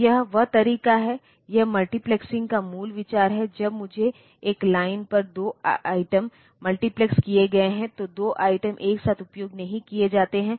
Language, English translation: Hindi, So, that is the way that is the basic idea of multiplexing, when I have got 2 items multiplexed on a line then 2 items are not used simultaneously